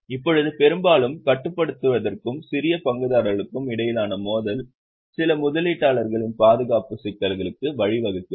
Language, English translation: Tamil, Now often conflict of interest between controlling and small shareholders lead to certain investor protection issues